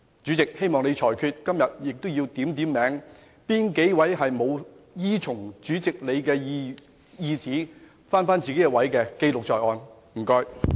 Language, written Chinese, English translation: Cantonese, 主席，我希望你作出裁決，而且今天也應把哪些沒有依從主席的指示返回座位的議員記錄在案，謝謝。, President I hope you will make a ruling . Moreover the names of the Members who did not return to their seats as directed by the President today should be put on record . Thank you